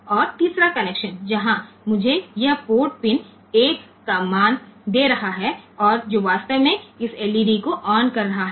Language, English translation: Hindi, And the third connection where I have got this port pin giving a value of 1 and that is actually making this LED on ok